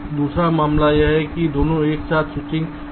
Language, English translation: Hindi, second case is that both are switching together